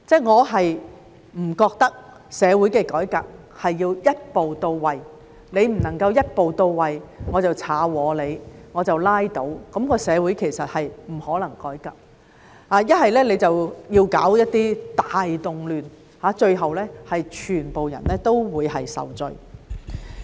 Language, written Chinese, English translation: Cantonese, 我不認為社會的改革要一步到位，你不能夠一步到位，我就要破壞你，我就拉倒，那麼社會其實是不可能改革的，又或者搞一些大動亂，最後全部人都會受罪。, I do not think that the reform of society should achieve its goal in one step nor do I think that if it cannot achieve the goal in one step I will ruin it and overturn it and if such being the case it is actually impossible to reform society . Or if a massive unrest is stirred up all the people will suffer at the end of the day